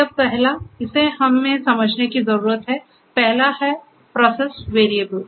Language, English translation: Hindi, The first one over here is we need to understand the first one is the Process Variable